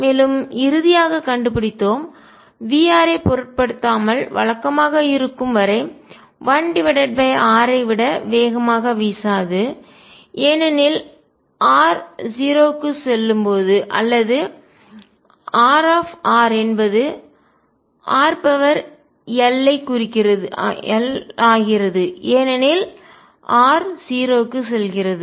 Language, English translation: Tamil, And, we finally found for irrespective of v r; as long as regular does not blow faster than 1 over r as r goes to 0 or R goes as r raised to l as r tends to 0